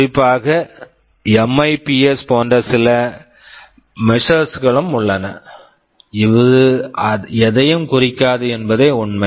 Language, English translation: Tamil, There are some measures like MIPS; this also does not mean anything